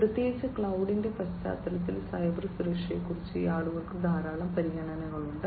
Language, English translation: Malayalam, And particularly in the context of cloud, people have lot of considerations about cyber security